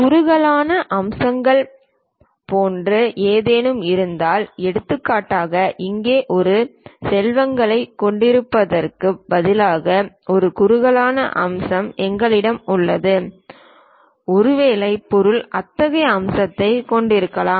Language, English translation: Tamil, If there are anything like tapered features for example, here, we have a tapered feature instead of having a rectangle perhaps the object might be having such kind of feature